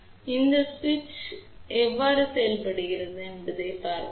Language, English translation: Tamil, So, let us see how this particular switch works